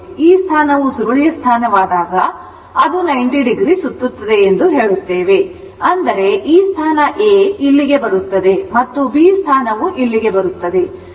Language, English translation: Kannada, When the coil position when this position, it will rotate say 90 degree; that means, this position A will come here and this is your B and this point will come here